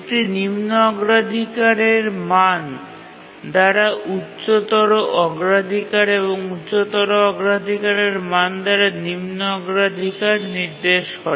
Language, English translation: Bengali, A lower priority indicates higher priority, a lower priority value indicates higher priority and higher priority value indicates lower priority